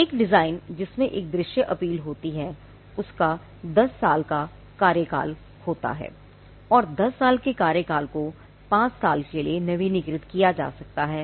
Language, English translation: Hindi, When granted a design, which is has a visual appeal has a 10 year term and the 10 year term can be renewed to a further 5 year term